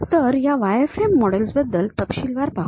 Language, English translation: Marathi, So, let us look in detail about this wireframe models